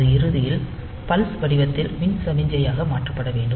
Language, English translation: Tamil, So, it should ultimately it should be converted into an electrical signal in the form of pulse